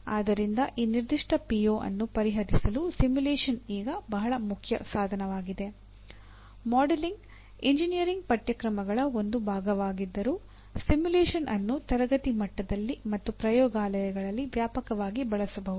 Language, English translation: Kannada, While modeling is a part of number of engineering courses, simulation can be extensively used at classroom level and in laboratories